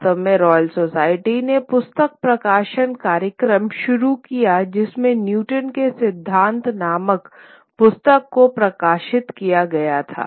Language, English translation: Hindi, In fact, the Royal Society started a book publishing program which ultimately one of the books that got published was Newton's Principia